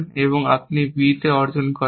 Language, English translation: Bengali, So, you will achieve on a b